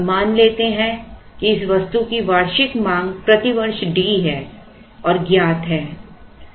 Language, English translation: Hindi, Now, let us assume that the annual demand for this item is D per year and is known